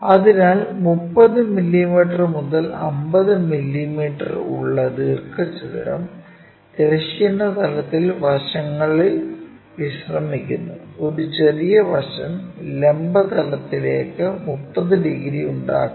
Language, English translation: Malayalam, So, what we have is a 30 mm by 50 mm rectangle with the sides resting on horizontal plane, and one small side it makes 30 degrees to the vertical plane